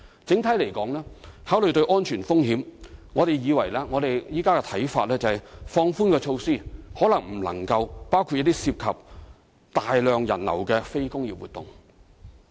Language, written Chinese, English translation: Cantonese, 整體而言，考慮到安全風險，我們現時的看法是，放寬措施或許未能包括涉及大量人流的非工業活動。, Generally speaking having considered the safety risks we are now of the view that the exemption may not be able to extend to non - industrial activities involving a large visitor flow